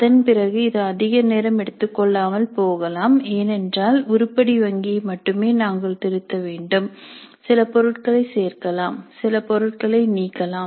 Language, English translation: Tamil, Subsequently it may not be that much time consuming because we need to only revise the item bank maybe add certain items, delete certain items